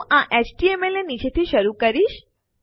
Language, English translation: Gujarati, Ill start quoting underneath this HTML